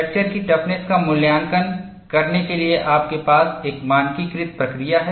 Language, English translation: Hindi, You have a standardized procedure for evaluating the fracture toughness